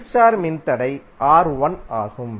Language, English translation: Tamil, The opposite star resistor is R1